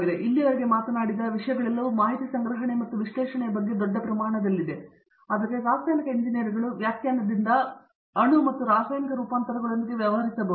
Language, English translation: Kannada, And all of the topics that we have talked about so far have been about information gathering as well as analysis at large scale, but chemical engineers by definition can deal with atoms and molecules and chemical transformations